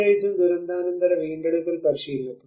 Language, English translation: Malayalam, And especially in the post disaster recovery practice